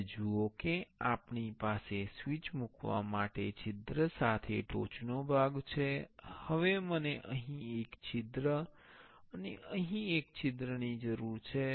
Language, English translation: Gujarati, Now, see we have the top part with a hole for placing the switch now I need one hole here and one hole here